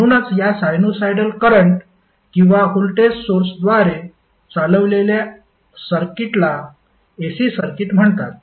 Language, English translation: Marathi, So, the circuit driven by these sinusoidal current or the voltage source are called AC circuits